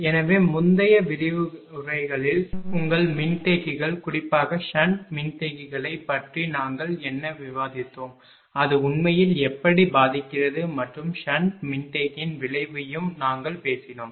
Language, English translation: Tamil, So, in the previous ah lectures whatever we have discussed about that your ah capacitors particularly on the sand capacitors that ah that how it effects actually and we have also talked that ah effect of sand capacitor